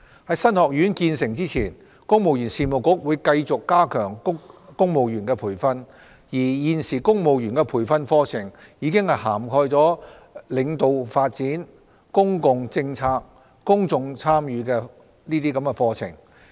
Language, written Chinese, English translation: Cantonese, 在新學院建成前，公務員事務局會繼續加強公務員的培訓，而現時公務員的培訓課程已涵蓋領導發展、公共政策、公眾參與等課程。, Pending the commissioning of the new college the Civil Service Bureau will continue to enhance civil service training . The existing training programmes for civil servants have already covered areas on leadership development public policy and public engagement etc